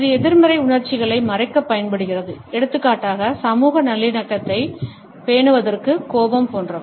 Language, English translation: Tamil, This is used to hide negative emotions, for example, anger etcetera to maintain social harmony